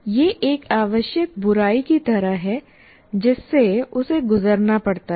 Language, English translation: Hindi, So it is something like a necessary evil through which he has to go through